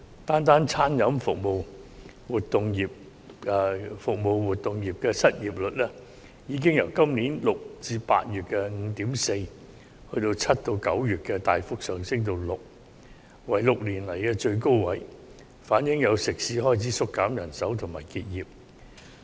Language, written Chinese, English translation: Cantonese, 單是餐飲服務活動業的失業率，已由今年6月至8月的 5.4%， 大幅上升至7月至9月的 6%， 是6年以來的新高，反映有食肆開始縮減人手及結業。, The unemployment rate in the food and beverage service activities sector alone has increased sharply from 5.4 % in June to August to a six - year high of 6 % in July to September showing that some restaurants have begun to cut staff and close down